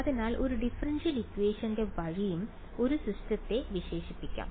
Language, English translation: Malayalam, So, a system can also be characterized by means of a differential equation right